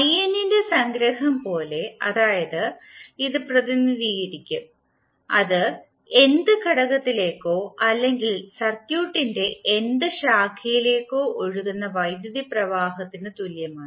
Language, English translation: Malayalam, You will represent it like summation of in that is current flowing into nth element is nth basically we will say nth branch of the circuit